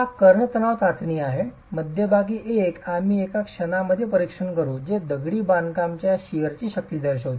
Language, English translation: Marathi, It's the diagonal tension test, the one in the center we will examine in a moment which characterizes the shear strength of masonry